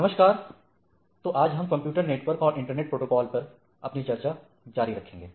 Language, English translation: Hindi, Hello, so today we will continue our discussion on Computer Networks and Internet Protocols